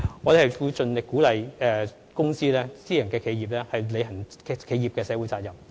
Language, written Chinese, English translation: Cantonese, 我們會盡力鼓勵公司及私人企業履行其企業社會責任。, We will try and encourage companies and private enterprises to fulfil their corporate social responsibility